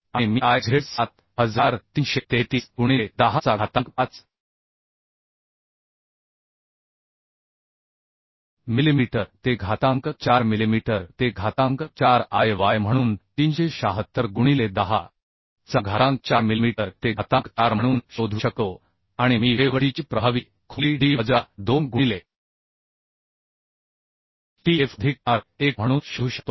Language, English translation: Marathi, 9 into 1some 0 cube millimeter cube and also I can find out Iz as 7333 into 10 to the 4 millimeter to the 4 Iy as 376 into 10 to the 4 millimeter to the 4 and also I can find out the effective depth of the web d as D minus 2 into tf plus R1 So if we calculate these value we can find out effective depth as 251